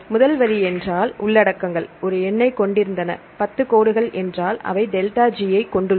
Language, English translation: Tamil, First line means there were contents a number, 10 lines means they have the ΔG